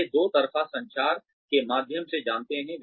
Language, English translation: Hindi, They know through, open two way communication